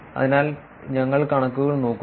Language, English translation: Malayalam, So, we look at the figures